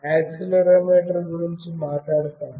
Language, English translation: Telugu, Let me talk about accelerometer